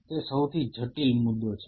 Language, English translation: Gujarati, That is the most critical point